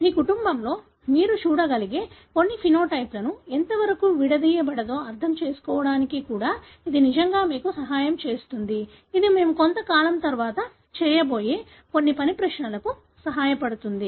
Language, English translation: Telugu, That would really help you even to understand how possibly some of the phenotype that you may see in your family is segregated which would help in some of the exercise that we are going to do little later